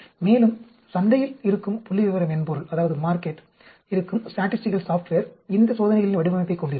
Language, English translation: Tamil, Also, statistical software will also have in the market these design of experiments